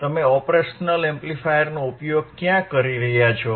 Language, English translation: Gujarati, Where you are using the operational amplifier